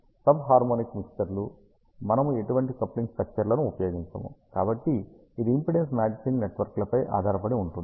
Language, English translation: Telugu, Sub harmonic mixers, we do not use any coupling structures, so it depends on the impedance matching networks